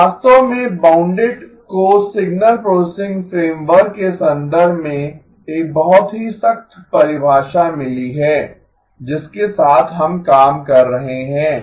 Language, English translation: Hindi, So bounded actually has got a very strict definition in the context of the signal processing framework that we are dealing with